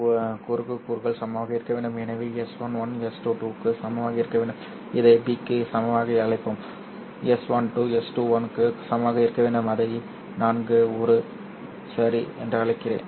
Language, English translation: Tamil, So S1 1 must be equal to S 2 2, let us call this as equal to B, and S 1 2 must be equal to S 21, which I will call this as A